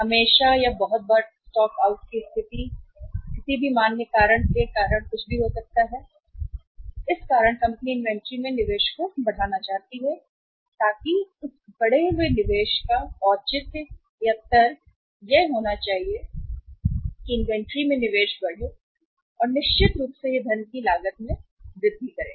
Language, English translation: Hindi, There is always or very frequently there is a stock out situation or anything because of any valid reason company want to increase the investment in the inventory so the the logic as well as the justification for that increased investment should be that increased investment when we increase the investment in the inventory, certainly it will it will increase the cost of funds